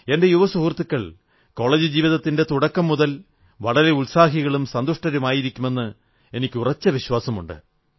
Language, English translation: Malayalam, I firmly believe that my young friends must be enthusiastic & happy on the commencement of their college life